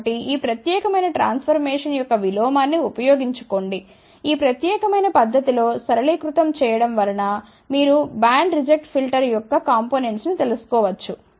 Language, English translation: Telugu, So, simply use the inverse of this particular transformation, simplify in this particular manner you can find out the components of band reject filter